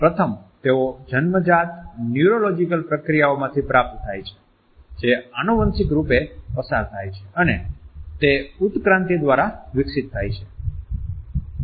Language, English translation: Gujarati, Firstly, they are acquired from innate neurological processes which are passed on genetically and which have developed through evolution